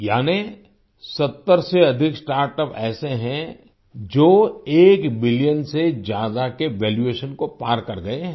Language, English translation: Hindi, That is, there are more than 70 startups that have crossed the valuation of more than 1 billion